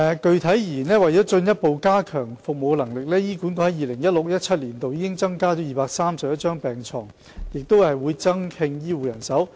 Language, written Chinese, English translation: Cantonese, 具體而言，為進一步加強服務能力，醫管局在 2016-2017 年度已增加231張病床及正增聘醫護人手。, In particular to further enhance service capacity HA has provided 231 additional beds and is recruiting more health care staff in 2016 - 2017